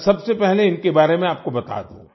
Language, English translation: Hindi, Let me first tell you about them